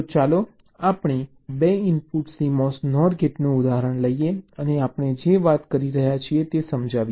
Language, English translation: Gujarati, so lets take the example of a two input cmos nor gate and lets illustrate what we are talking about